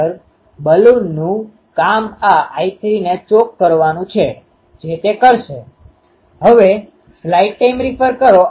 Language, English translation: Gujarati, Actually a Balun's job is to choke this I 3, that it will do